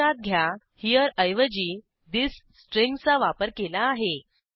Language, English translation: Marathi, Note that we have used the string this instead of HERE